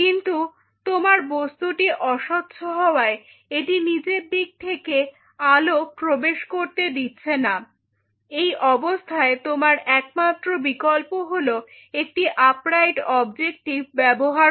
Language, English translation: Bengali, But since your substrate is opaque it is not allowing any light to come from the bottom your only option is to use an upright objective in that situation